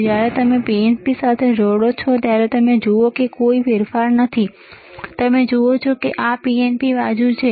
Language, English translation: Gujarati, So, when you connect it to PNP, see, no change, you see this is PNP side